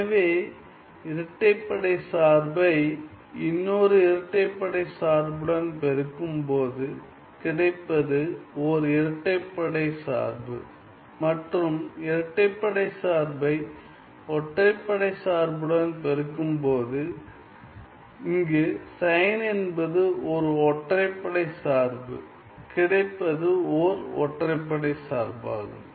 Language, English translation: Tamil, So, the product of even function with an even function will be an even function and the product of an even function with an odd function here sin is an odd function will be an odd function